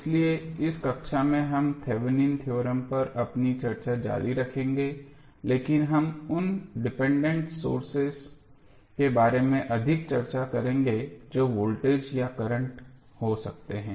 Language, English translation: Hindi, So, in this class we will continue our discussion on the Thevenin's theorem but we will discuss more about the dependent sources that may be the voltage or current